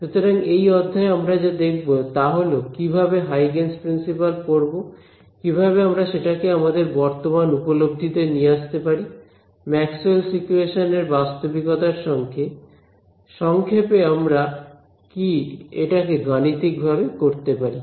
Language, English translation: Bengali, So, what we will look at in this module is how can we study this Huygens principle, how can we bring it into our current understanding with all the sophistication of Maxwell’s equations and in short can I study it mathematically ok